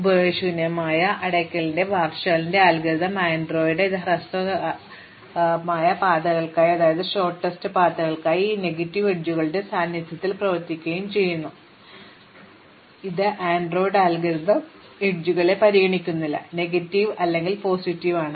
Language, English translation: Malayalam, And then, Warshall's algorithm for use transitive closure and Floyd generalized it would shortest paths and these work in the presence of negative edges, it does not matter, Floyds algorithm does not care with the edges are negative or positive